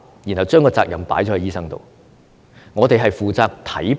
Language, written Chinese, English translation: Cantonese, 然後將責任放在醫生身上。, The burden is then placed on doctors